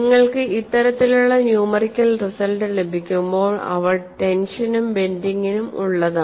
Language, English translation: Malayalam, So, when you have these kinds of a numerical result, they are also available for tension as well as bending